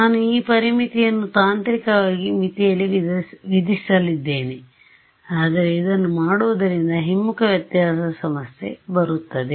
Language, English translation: Kannada, So, I am going to impose this boundary condition technically it should be on the boundary, but doing that has this problem of backward difference